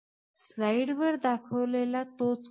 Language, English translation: Marathi, We show that same code that we have shown on the slide